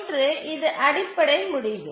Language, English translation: Tamil, This is the basic result